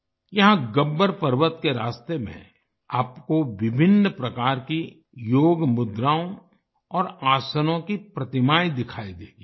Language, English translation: Hindi, Here on the way to Gabbar Parvat, you will be able to see sculptures of various Yoga postures and Asanas